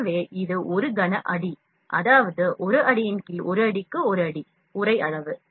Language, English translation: Tamil, So, this is 1 cubic feet, that is 1 feet by 1 feet by 1 feet, the envelop size is this one